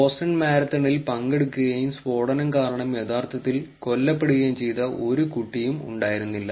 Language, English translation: Malayalam, There was no kid who took part in Boston Marathon and who actually was killed, because of the blast